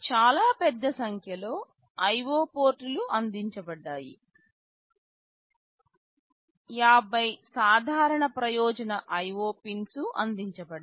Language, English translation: Telugu, There are fairly large number of IO ports that are provided, 50 general purpose IO pins are provided